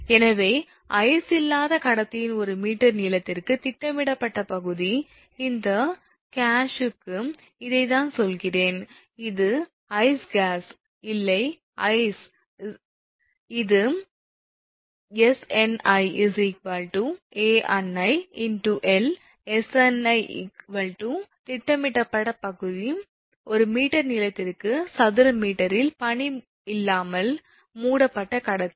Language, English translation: Tamil, Therefore the projected area per meter length of the conductor with no ice right I mean this one for this case this one, this is the no ice case no ice right, it will be Sni is equal to Ani into l right, where Sni is equal to projected area of conductor covered without ice in square meter per meter length right